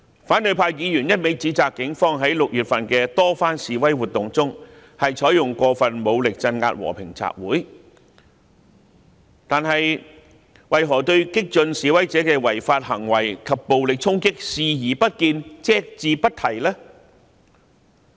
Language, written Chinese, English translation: Cantonese, 反對派議員一味指責警方在6月份的多番示威活動中，採用過分武力鎮壓和平集會，但為何對激進示威者的違法行為及暴力衝擊視而不見、隻字不提呢？, Opposition Members have one - sidedly accused the Police of using excessive forces to suppress the peaceful assemblies in many protests in June but why have they turned a blind eye and said nothing to the unlawful acts and violent charges of the radical protesters?